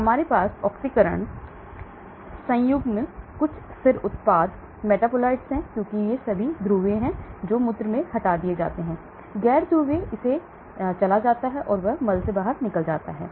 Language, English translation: Hindi, So we have oxidation, conjugation, some stable products, metabolites, because these are all polar it gets removed in urine, non polar it goes it will get removed in stools